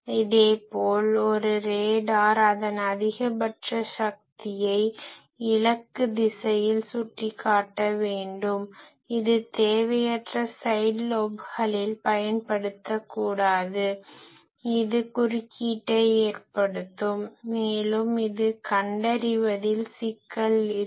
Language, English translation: Tamil, Similarly a RADAR, it will have to pinpoint its maximum power into the target direction it should not unnecessarily use it in the side lobes etc that will cause interference and also it will have problem in detection etc